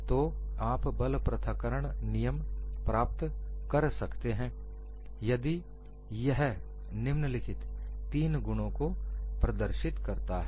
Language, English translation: Hindi, So, you can obtain a force separation law if it exhibits the following three properties